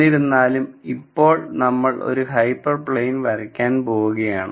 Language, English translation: Malayalam, Now however you try to draw a hyper plane